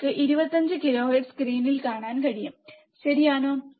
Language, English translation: Malayalam, You can see in the screen 25 kilohertz, correct